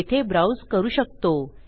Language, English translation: Marathi, I can make it browse